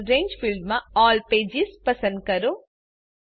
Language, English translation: Gujarati, * Next, in the Range field, select All Pages